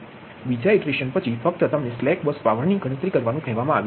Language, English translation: Gujarati, after second iteration only: ah, you have been as to compute the slack bus power